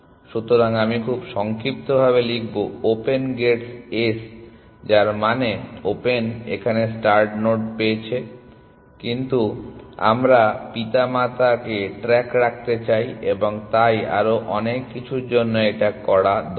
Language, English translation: Bengali, So, I will just very briefly write open gets S which means open gets the start node, but we want to keep track of parents and so on and so for